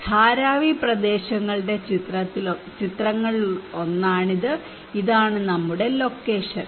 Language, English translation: Malayalam, This is one of the picture of Dharavi areas, this is our location close to